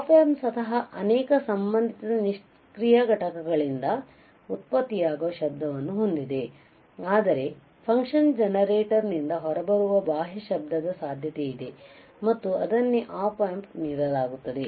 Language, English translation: Kannada, Op amp itself many have noise generated by the associated passive components, but there is a possibility of a external noise that comes out of the function generator and is introduced to the op amp all right